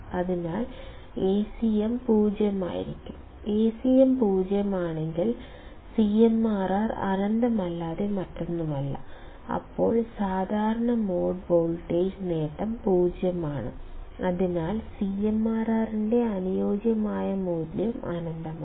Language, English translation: Malayalam, So, ideally Acm should be 0; if Acm is 0, CMRR would be nothing but infinite; Then, ideally common mode voltage gain is 0; hence the ideal value of CMRR is infinity